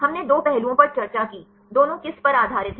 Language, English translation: Hindi, We discussed two aspects; both are based on